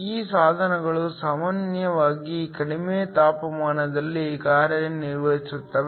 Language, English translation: Kannada, These devices are usually operated at low temperatures